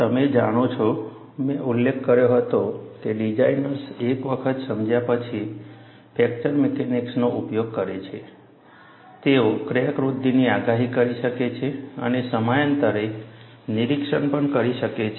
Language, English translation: Gujarati, You know, I had mentioned that, designers took to fracture mechanics, once they realized, they could predict crack growth and also inspect, at periodic intervals